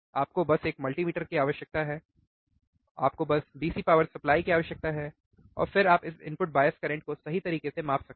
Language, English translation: Hindi, You just need multimeter you just need DC power supply and then you can measure this input bias current quickly, right